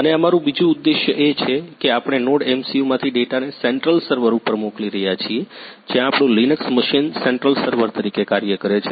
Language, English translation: Gujarati, And our second objective is we are sending the data from the NodeMCU to the central server where our Linux machine is acting as a central server